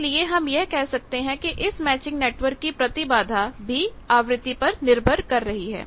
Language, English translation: Hindi, So, we can say the impedance of the matching network that is frequency dependant